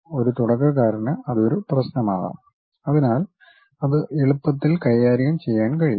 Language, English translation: Malayalam, For a beginner that might be an issue, so that can be easily handled